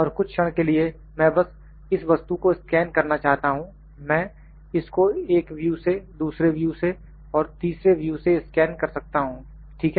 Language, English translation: Hindi, And for instance I like to just scan this object I can scan it from one view, side view, second view and third view, ok